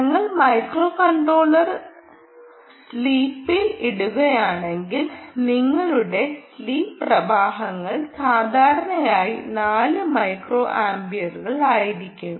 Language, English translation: Malayalam, you will be micro () if we put the microcontroller to steap sleep, your sleep currents ha, typically four ah micro amperes